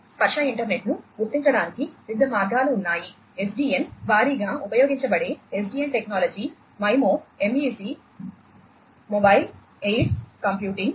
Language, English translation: Telugu, So, there are different ways to realize the tactile internet SDN is heavily used SDN technology, MIMO, MEC mobile aids computing, and network function virtualization